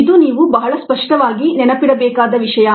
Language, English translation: Kannada, this is something that you need to remember very clearly